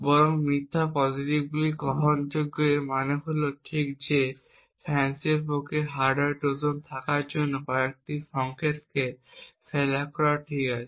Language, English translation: Bengali, It is okay to have a few false positives, rather the false positives are acceptable this means that it is okay for FANCI to flag a few signals to as having a hardware Trojan when indeed there is no such Trojan present in them